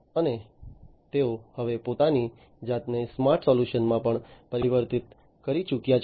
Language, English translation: Gujarati, And they have now also transformed themselves into smarter solutions